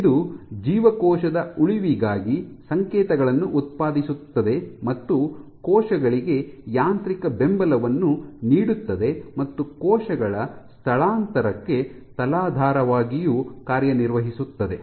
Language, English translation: Kannada, It of course, generates signals for cell survival provides mechanical support to cells and also acts as a substrate for cell migration